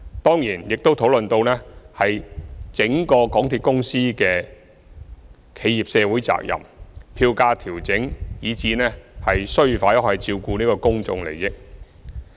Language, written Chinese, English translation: Cantonese, 當然，議員亦討論到港鐵公司的企業社會責任、票價調整，以至其須否照顧公眾利益等事宜。, Certainly Members have also discussed matters such as corporate social responsibilities fare adjustment and whether MTRCL must look after public interests